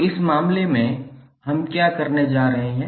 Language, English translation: Hindi, So in this case, what we are going to do